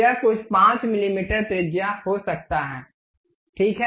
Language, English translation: Hindi, It can be some 5 millimeters radius, ok